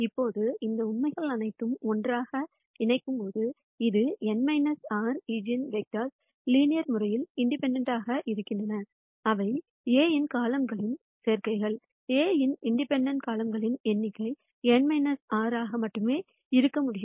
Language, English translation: Tamil, Now, when we put all of these facts together, which is the n minus r eigen vectors are linearly independent; they are combinations of columns of A; and the number of independent columns of A can be only n minus r